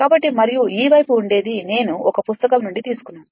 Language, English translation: Telugu, So, and this side we will only give a because I have taken from a book